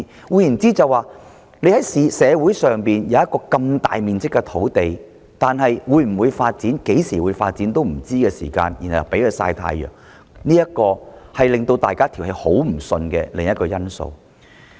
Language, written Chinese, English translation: Cantonese, 換言之，社會上雖然有一幅如此大面積的土地，但在它會否或何時發展也無從得知的情況下，便任由它"曬太陽"，這是另一個讓市民不服氣的原因。, In other words although there is such a large piece of land in our community it is allowed to sunbath without anyone knowing whether it will be developed or when it will be developed . This is another reason why the public is not convinced